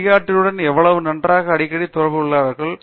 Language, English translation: Tamil, How well and how often they interact with the guide